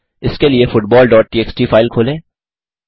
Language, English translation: Hindi, For that open the football dot txt file